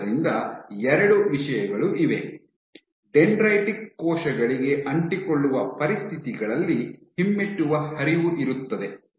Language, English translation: Kannada, So, thus far two things we found; for dendritic cells, so under adherent conditions, you have retrograde flow